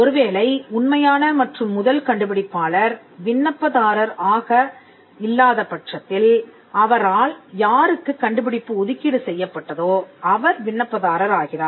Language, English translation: Tamil, In case the true and first inventor is not the applicant, then the person to whom the invention is assigned becomes the applicant